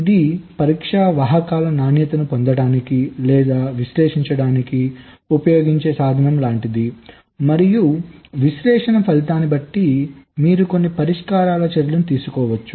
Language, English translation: Telugu, so this is more like a tool which is used to get or analyze the quality of the test vectors and, depending on the result of the analysis, you can take some remedial actions